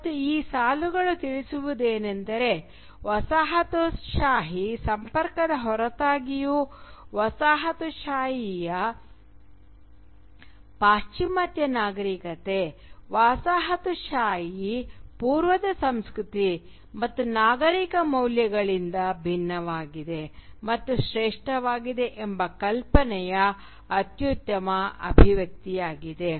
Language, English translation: Kannada, And as I said, this line is perhaps the best expression of the notion that in spite of the colonial contact, the Western civilisation and Western culture of the coloniser was distinct and superior to the culture and civilizational values of the colonised East